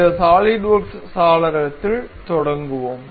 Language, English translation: Tamil, So, let us begin with this SolidWorks window